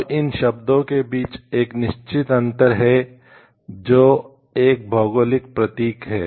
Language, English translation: Hindi, Now, there is a certain difference between the terms of like what is a geographical indication